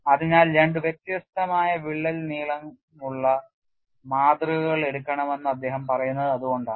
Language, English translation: Malayalam, So, that is why he says you take 2 specimens which are of different crack lengths